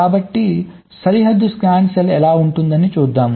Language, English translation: Telugu, this is how the boundary scan cell looks like now